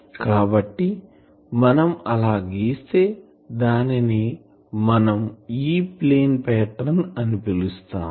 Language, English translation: Telugu, So, if we plot that that is called E plane pattern